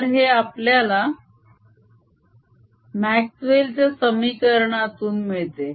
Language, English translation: Marathi, this is what we get from the maxwell's equations